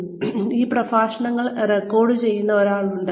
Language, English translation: Malayalam, And, there is somebody at the backend, who is recording these lectures